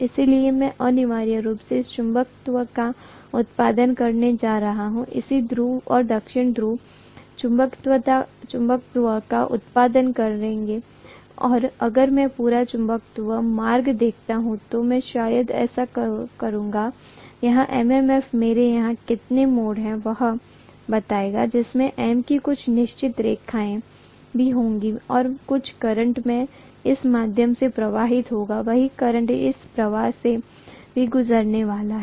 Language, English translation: Hindi, So I am essentially going to have this producing the magnetism, the North pole and South pole will produce magnetism and if I look at the complete magnetic path, I am probably going to have, so the MMF consists of how many ever number of turns I have here, this will also have certain number of turns M here and some current I is going to flow through this, same current I is probably going to flow through this as well